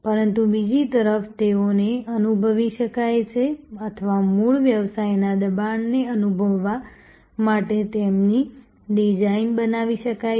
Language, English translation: Gujarati, But, on the other hand they can be made to feel or their design to feel the pressure of the original business